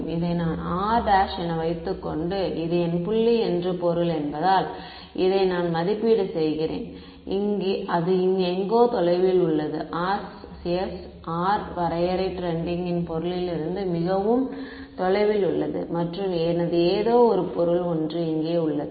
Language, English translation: Tamil, So, and this what I can assume is that since my object this is let us say my point r prime right that is where I am evaluating this, is somewhere which is far away right that was the definition of RCS r trending to be very away from the object and my object is something over here ok